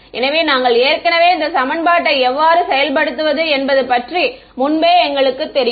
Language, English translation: Tamil, So, we already, so we know how to implement this equation right